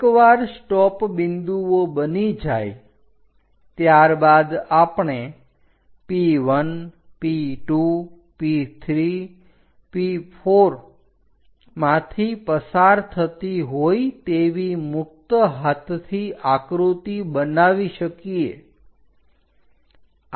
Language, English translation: Gujarati, Once the stop points are done we can make a free hand sketch passing through P1, P2, P3, P4 takes a turn goes via that